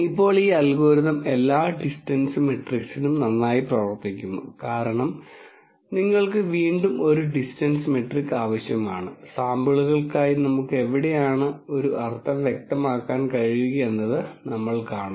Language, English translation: Malayalam, Now, this algorithm works very well for all distance matrix you again need a distance metric as we will see where we can clearly de ne a mean for the samples